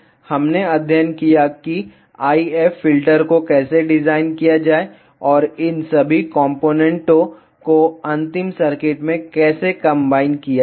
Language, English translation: Hindi, We studied how to design the IF filter and how to combine all these components into the final circuit